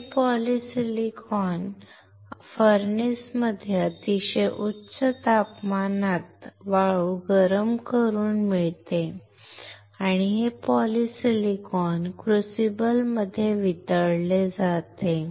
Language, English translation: Marathi, This polysilicon is obtained by heating the sand at very high temperature in the furnace and This polysilicon is melted in a crucible